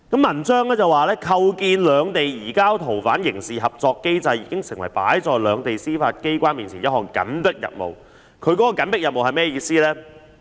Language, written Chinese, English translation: Cantonese, 文章指出："構建兩地移交逃犯刑事合作機制已經成為擺在兩地司法機關面前一項緊迫任務"，而緊迫任務是甚麼意思呢？, It was pointed out in the article that the establishment of a criminal cooperation mechanism for surrendering fugitive offenders has become a pressing task for the judicial authorities of both the Mainland and Hong Kong . What has to be done under this pressing task?